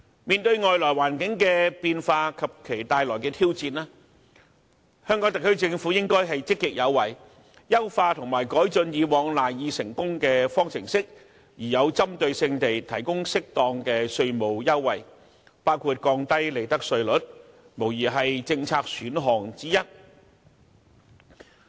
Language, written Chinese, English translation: Cantonese, 面對外來環境的變化及其帶來的挑戰，香港特區政府應積極有為，優化和改進以往賴以成功的方程式，並針對性地提供適當的稅務優惠，降低利得稅率，無疑是政策選項之一。, In the face of changes in the external environment and the challenges it brings the HKSAR Government should proactively improve the formulae on which Hong Kong relies for its success provide appropriate tax concessions to certain targets and lower the profits tax rate . These are undoubtedly some of the favourable policy options